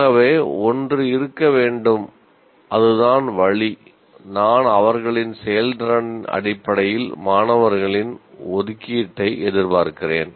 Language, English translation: Tamil, So one has to be, that is the way I am expecting the distribution of students in terms of their performance